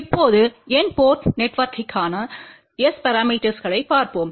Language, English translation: Tamil, Now, let just look at S parameters for N port network